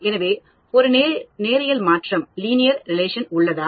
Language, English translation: Tamil, So, is there a linear relation